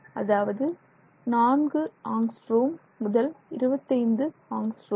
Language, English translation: Tamil, 4 nanometers, so that is 4 angstroms to 25 angstroms